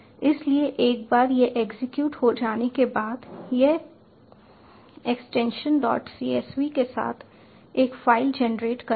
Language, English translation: Hindi, so once this has been executed, it will generate a file with the extension dot csv